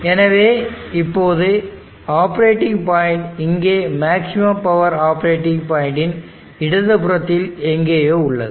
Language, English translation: Tamil, So now consider that the operating point is somewhere, here to left of the maximum power operating point